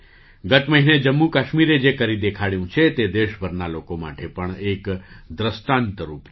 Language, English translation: Gujarati, What Jammu and Kashmir has achieved last month is an example for people across the country